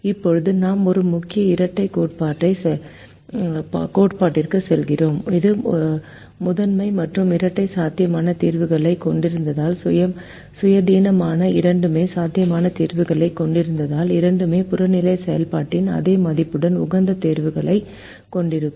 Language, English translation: Tamil, now we move on to a main duality theorem which says if the primal and dual have feasible solutions independently, both of them have physical solutions, then both will have optimum solutions with the same value of the objective function